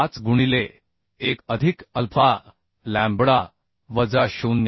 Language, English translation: Marathi, 5 into 1 plus alpha lambda minus 0